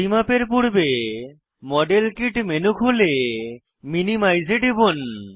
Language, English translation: Bengali, Before we measure, open the modelkit menu and click on minimize